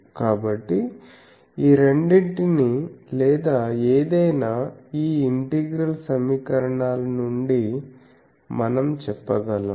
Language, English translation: Telugu, So, we can say both of these or any of this thing any of these integral equations